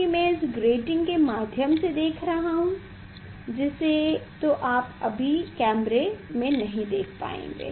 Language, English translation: Hindi, I am seeing through this grating that you will not be able to see in the camera